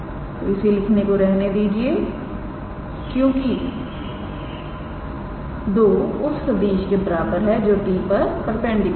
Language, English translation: Hindi, So, do not write it is just because two is equals to vector perpendicular to t